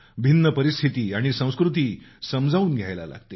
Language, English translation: Marathi, They need to know and adapt to various situations and different cultures